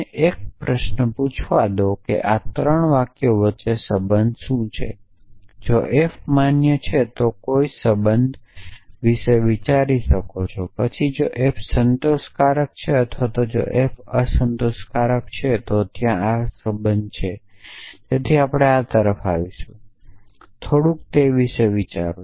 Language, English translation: Gujarati, So, let me ask the question what is a relation between these three sentences can you think of a relation if f is valid, then if f is satisfiable or if f is unsatisfiable is there a relation between them, we will come to this, so, just think about that a little bit